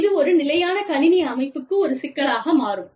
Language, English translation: Tamil, And, that becomes a problem, for a standard computer system